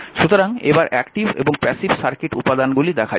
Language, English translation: Bengali, So, active and passive circuit elements